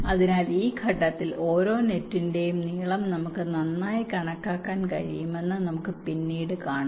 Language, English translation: Malayalam, so we shall see later that at this stage we can make a good estimate of the length of every net